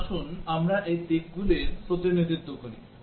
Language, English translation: Bengali, Now, let us represent these aspects